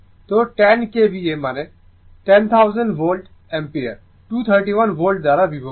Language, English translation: Bengali, So, 10 KVA means, 10,000 Volt Ampere divided by that 231 Volts